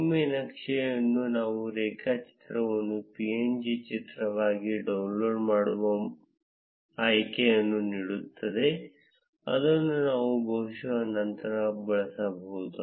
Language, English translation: Kannada, Once the chart gets saved, it gives us an option to download the chart as a png image which we can probably use later